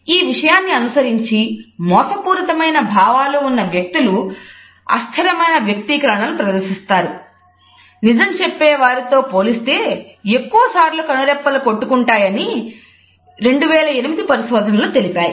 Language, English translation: Telugu, In 2008 study on the topic showed that people who are being deceptive about their emotions display inconsistent expressions and blink more often than those telling